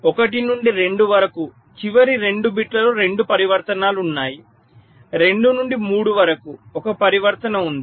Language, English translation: Telugu, there are two transitions in the last two bits from two to three